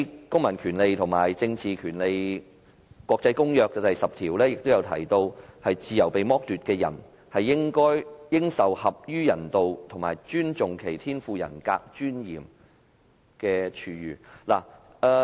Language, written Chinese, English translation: Cantonese, 《公民權利和政治權利國際公約》第十條也提到，"自由被剝奪之人，應受合於人道及尊重其天賦人格尊嚴之處遇"。, It is also stipulated in Article 10 of the International Covenant on Civil and Political Rights that All persons deprived of their liberty shall be treated with humanity and with respect for the inherent dignity of the human person . Just now I have heard the response of the Secretary for Security